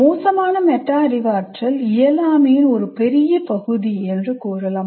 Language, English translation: Tamil, So you can say poor metacognition is a big part of incompetence